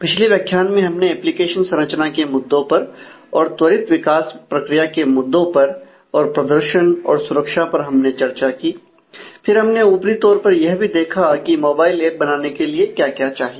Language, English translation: Hindi, In the last module we have discussed about different aspects of application architecture rapid development process issues and performance and security and took a glimpse in terms of, what is required for doing a mobile app